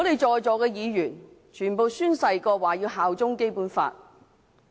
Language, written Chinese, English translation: Cantonese, 在席的議員，全部都已宣誓效忠《基本法》。, All Members present here have sworn allegiance to the Basic Law